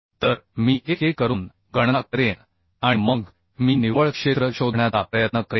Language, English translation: Marathi, So I will calculate one by one and then I will try to find out the net area